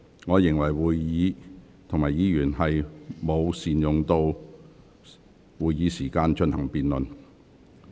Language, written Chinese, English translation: Cantonese, 我認為議員沒有善用議會時間進行辯論。, I think Members have failed to make good use of the Councils time for the debate